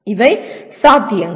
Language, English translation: Tamil, These are possibilities